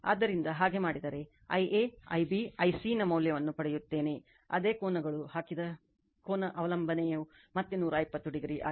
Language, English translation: Kannada, So, if you do so you will get value of I a, I b, I c, magnitude same angles also substituted angle dependence will be again 120 degree right